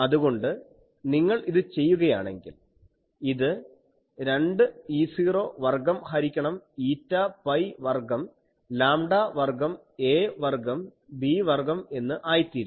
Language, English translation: Malayalam, So, if you do that, it becomes 2 E not square by eta pi square lambda square a square b square